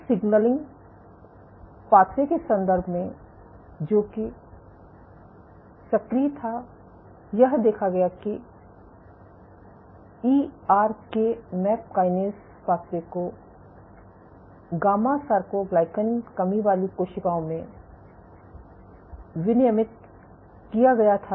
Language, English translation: Hindi, So, in terms of the signaling pathways which were activated, what was observed was the ERK map kinase pathway was up regulated in gamma soarcoglycan deficient cells